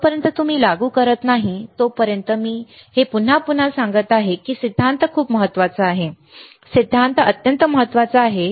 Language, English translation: Marathi, Until you apply, it again I am saying this again and again theory is very important, theory is extremely important